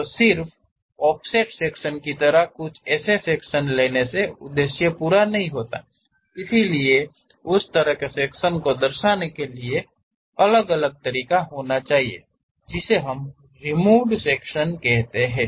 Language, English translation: Hindi, So, just taking something like offset section does not serve the purpose; so there should be another way of representing that, that kind of sections what we call removed sections